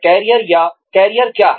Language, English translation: Hindi, What is a career